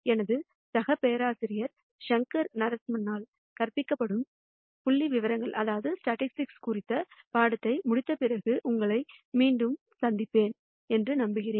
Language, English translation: Tamil, I thank you and I hope to see you back after you go through the module on statistics which will be taught by my colleague professor Shankar Narasimhan